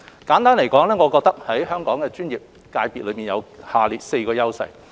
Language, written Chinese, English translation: Cantonese, 簡單來說，我認為香港的專業界別有以下4個優勢。, To make it simple I consider Hong Kongs professional sectors have the following four edges